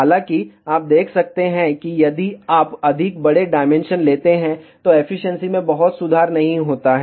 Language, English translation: Hindi, However, you can see that if you take much larger dimension, there is not much of improvement in the efficiency